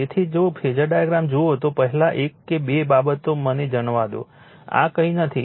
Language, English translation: Gujarati, So, if you see the phasor diagram first one or two things let me tell you, this is nothing, this is nothing